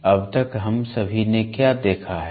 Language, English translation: Hindi, So, till now what all have we seen